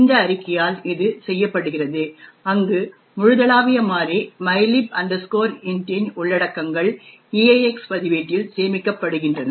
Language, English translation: Tamil, This is done by this statement where the contents of the global variable mylib int is stored in the EAX register